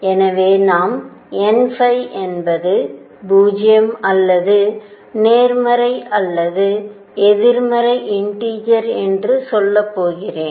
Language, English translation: Tamil, So, I will going to say n phi could be 0 or positive or negative integers